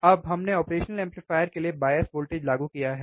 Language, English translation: Hindi, Now, we have applied the bias voltage to the operation amplifier